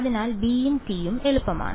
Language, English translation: Malayalam, So, b’s and t’s are easy; what is the